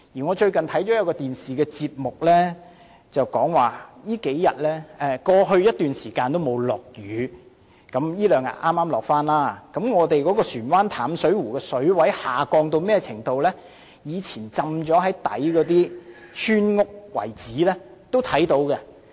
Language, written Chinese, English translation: Cantonese, 我最近收看一個電視節目，指出過去已有好一陣子沒有下雨——最近數天剛好下雨了——本港船灣淡水湖的水位下降至一個程度，就連在水底的村屋遺址也能看到了。, I have watched a television programme recently which and highlighted that it has not rained for quite a long while in the past―well it seemed to have rained these few days―thus leading to the exposure of the remains of village houses lying at the bottom of Plover Cove Reservoir due to the descended water level of the latter